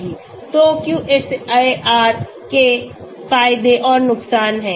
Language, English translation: Hindi, So QSAR has advantages and disadvantages